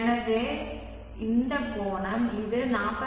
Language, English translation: Tamil, that is equal to 48